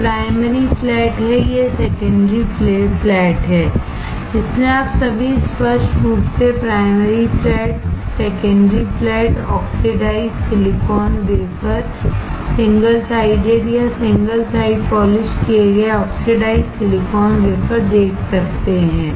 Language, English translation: Hindi, This is primary flat, this is secondary flat, so all of you can see very clearly primary flat, secondary flat, oxidized silicon wafer, single sided or single side polished oxidized silicon wafer